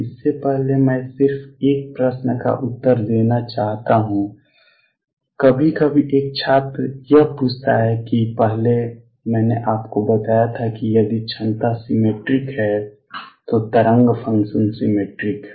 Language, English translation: Hindi, Way before that I just want to answer a question sometimes a student’s ask that earlier I had told you that the wave function is symmetric if the potential is symmetry